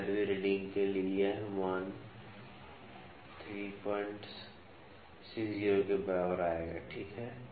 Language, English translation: Hindi, For the 15th reading this value would come to equal to 3